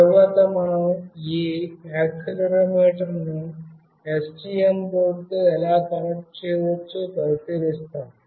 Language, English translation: Telugu, Next we will look into how we can connect this accelerometer with STM board